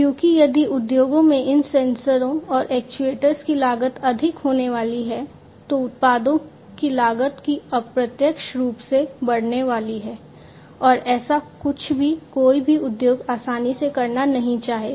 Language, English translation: Hindi, Because if the cost of these sensors and actuators in the industries are going to be higher, then the cost of the products are also indirectly going to be increased and that is not something that any of the industries would readily want to have